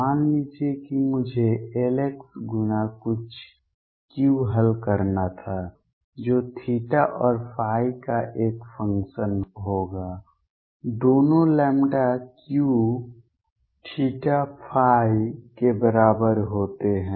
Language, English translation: Hindi, Suppose I were to solve L x times some Q, right which will be a function of theta and phi both equals lambda Q theta and phi